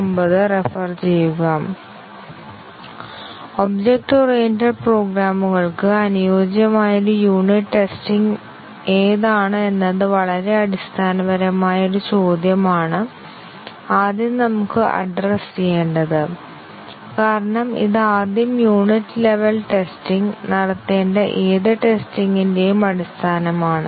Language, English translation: Malayalam, First let us address this is a very fundamental question what is a suitable unit of testing for object oriented programs because this is the foundation of any testing that we need to do first the unit level testing